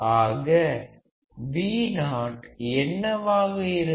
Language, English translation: Tamil, So, what will Vo be